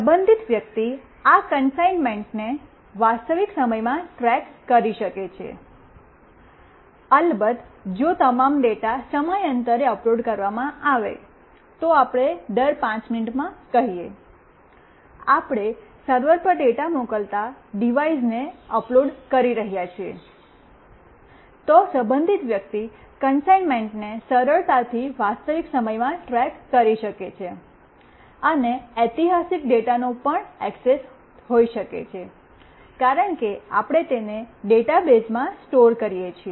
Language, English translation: Gujarati, The concerned person can track the consignment in real time, of course if all the data is uploaded time to time let us say every 5 minutes, we are uploading the devices sending the data to a server, then the concerned person can easily track the consignment in real time; and may also have access to historical data, because we are storing it in a database